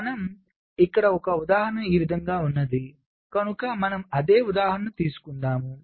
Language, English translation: Telugu, so you have an example like this, the same example we took